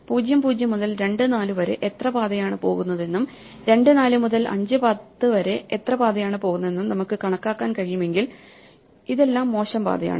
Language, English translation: Malayalam, If we could only count how many paths go from (0, 0) to (2, 4) and then how many paths go from (2, 4) to (5, 10), these are all the bad paths